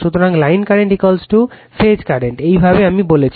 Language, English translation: Bengali, So, line current is equal to phase current, this way I am telling you